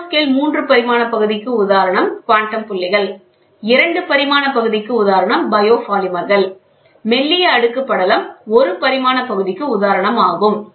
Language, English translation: Tamil, Nanoscale three dimension part example is quantum dots; biopolymers are two dimension thin film layer is one dimension